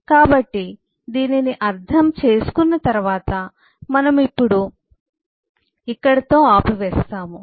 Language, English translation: Telugu, so, having understood this, we will stop now